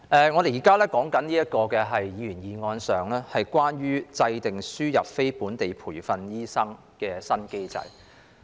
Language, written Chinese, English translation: Cantonese, 我們現時討論的議員議案，是關於"制訂輸入非本地培訓醫生的新機制"。, The Members motion now under discussion is on Formulating a new mechanism for importing non - locally trained doctors